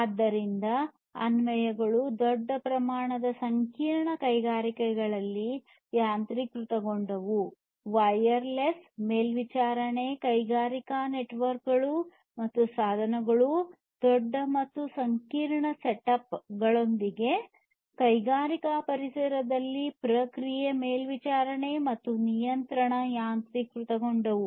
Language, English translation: Kannada, So, applications are automation in large scale complex industries, wireless monitoring of industrial networks and devices, process monitoring and control automation in the industrial environments with large and complex setups, and so on